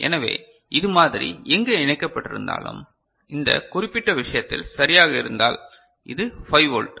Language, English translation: Tamil, So, wherever this is connected like this you can understand that you know this what you can see if in this particular case right, this is 5 volt ok